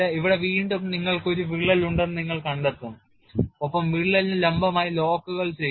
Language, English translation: Malayalam, And here again you will find you will have a crack and you do the locks perpendicular to the crack